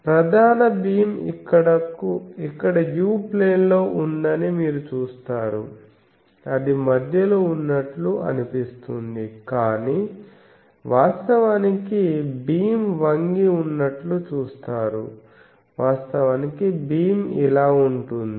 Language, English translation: Telugu, You see that main beam is here in the u plane, it looks that it is in the center, but actually if you put you see the beam is tilted, actually the beam is like this